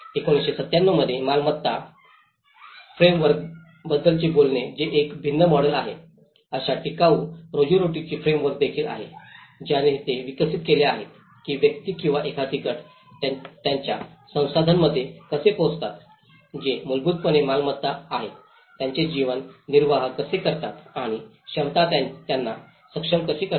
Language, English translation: Marathi, There is also sustainable livelihoods framework which talks about the asset framework where it is a different model in 1997, which they have developed how the individuals or a groups access the resources which are basically an assets to organize their livelihoods and how the capacities make them able to act engage and change the world